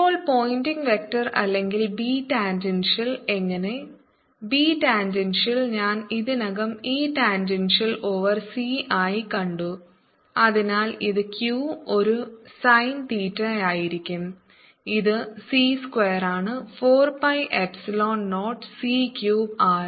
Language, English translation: Malayalam, now how about the pointing vector, or b tangential, v tangential, i have all ready seen as e, tangential c, and therefore it is going to be q a sin theta over this is c square, four pi epsilon zeroc, cube r